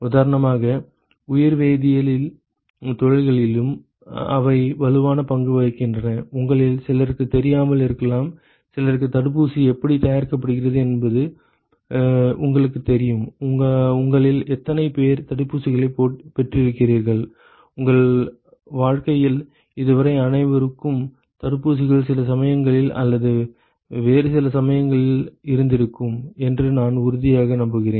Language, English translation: Tamil, They also play a strong role in biochemical industries for example; you know some of you may not know, some of you may know how a vaccine is made; how many of you have had vaccinations, I am sure everyone has had vaccinations some time or other in your life so far